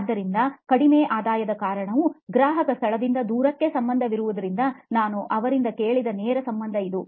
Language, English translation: Kannada, So this is the direct correlation of what I heard from him as the reasoning to low revenue is related to far distance from the customer location